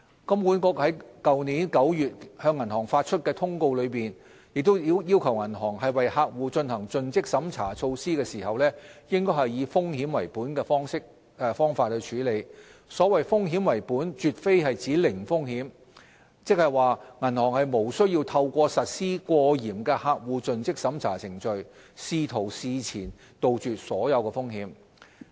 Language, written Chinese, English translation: Cantonese, 金管局於去年9月向銀行發出的通告中，亦要求銀行為客戶進行盡職審查措施時，應以"風險為本"的方法處理；所謂"風險為本"絕非指"零風險"，即是說銀行無需透過實施過嚴的客戶盡職審查程序，試圖事前杜絕所有風險。, In a circular issued to all banks in September last year HKMA also requests banks to apply a risk - based approach to CDD process . The risk - based approach is not meant to be a zero failure regime which means that banks are not expected to implement overly stringent CDD process with a view to eliminating ex - ante all risks